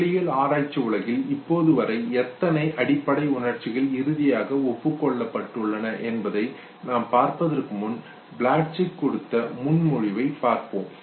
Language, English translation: Tamil, Before I come to how many basic emotions have been no finally agreed upon in the literature in physiology let us first look at the proposal given by Plutchik